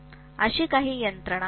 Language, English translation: Marathi, There are some mechanisms like that